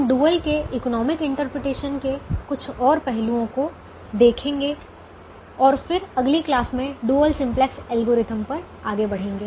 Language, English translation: Hindi, we will see some more aspects of the economic interpretation of the dual and then move on to the dual simplex algorithm in the next class